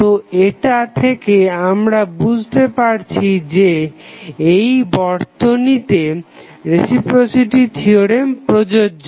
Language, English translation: Bengali, So, that means that we can say that the reciprocity theorem is justified in this particular circuit